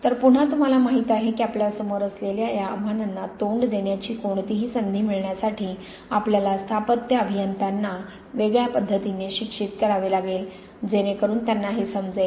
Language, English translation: Marathi, So it is, again you know, for going to have any chance of meeting these challenges facing us, we have to educate our civil engineers differently so that they understand this